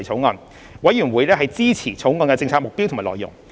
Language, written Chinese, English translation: Cantonese, 法案委員會支持《條例草案》的政策目標及內容。, The Bills Committee supports the policy objectives and contents of the Bill